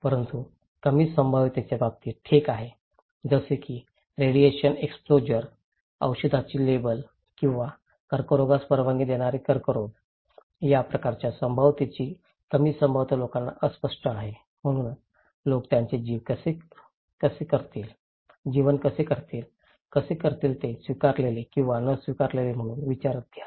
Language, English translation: Marathi, But in case of low probability okay, like radiation exposure, labels in medicine or permissible level or possible carcinogens in cancer, these kind of low probability event of risk is very unclear to the people so, what people will do the life, how they will consider it as an accepted or not accepted